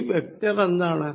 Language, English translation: Malayalam, And what is this vector